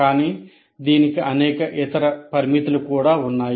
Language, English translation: Telugu, But then it has several other limitations as well